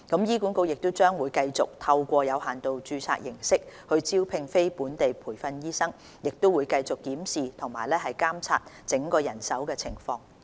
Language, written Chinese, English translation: Cantonese, 醫管局將繼續透過有限度註冊形式招聘非本地培訓醫生，亦會繼續檢視和監察整體人手情況。, HA will continue to recruit non - locally trained doctors by way of limited registration and will keep reviewing and monitoring the overall manpower situation